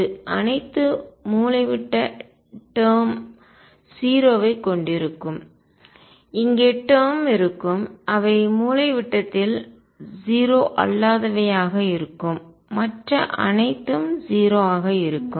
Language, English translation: Tamil, It would have all of diagonal term 0 there will be terms here which will be nonzero along the diagonal and everything else would be 0